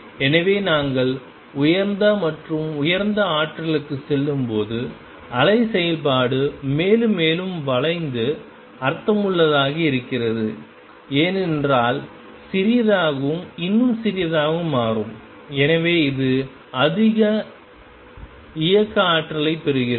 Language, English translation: Tamil, So, you see as we go to higher and higher energies, wave function bends more and more and that make sense, because lambda becomes smaller and smaller, So it gains more kinetic energy